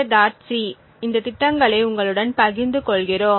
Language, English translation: Tamil, c will also be sharing these programs with you